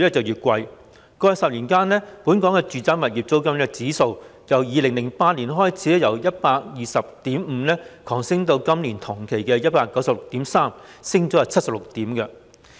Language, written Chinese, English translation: Cantonese, 在過去10年間，本港的住宅物業租金指數由2008年的 120.5 急升至今年同期的 196.3， 上升76點。, Over the past decade the Domestic Rental Indices in Hong Kong has risen sharply from 120.5 in 2008 to 196.3 over the same period of this year representing an increase of 76 points